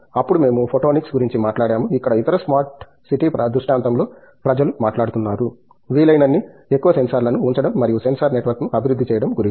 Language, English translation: Telugu, Then of course, we talked about photonics where the other smart city scenario right now people are talking about putting as many sensors as one can and then develop sensor network